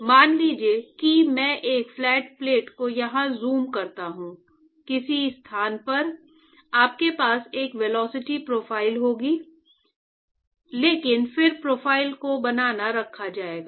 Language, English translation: Hindi, So, suppose I zoom up this flat plate here, at some location what happens is that you will have a will have a velocity profile, but then the profile will be maintained